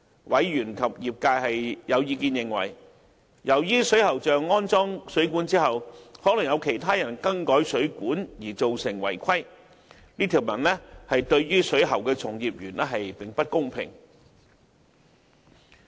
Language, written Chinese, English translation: Cantonese, 委員及業界有意見認為，由於水喉匠安裝水管後，可能會因曾有其他人更改水管而造成違規情況，故這條文對水喉從業員並不公平。, Both the members and the trade consider it unfair to plumbing practitioners as violations of the relevant requirements may be committed by some other people who have made modifications to the plumbing system after it has been installed